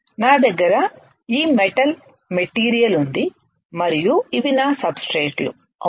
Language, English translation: Telugu, See if I have this metal material and these are my substrates right